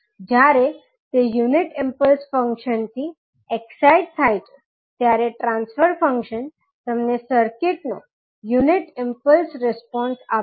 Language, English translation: Gujarati, So, when it is excited by a unit impulse function, the transfer function will give you the unit impulse response of the circuit